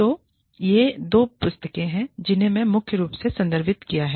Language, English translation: Hindi, So, these are the two books, that i have referred to, primarily